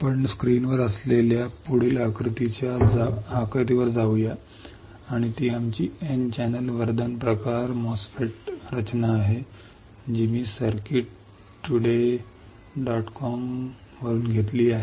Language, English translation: Marathi, Let us go to the next figure next figure which we have on the screen, and that is our N channel enhancement type MOSFET structure this I have taken from circuits today dot com